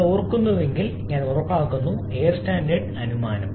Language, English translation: Malayalam, If you remember I ensure that you remember the air standard assumption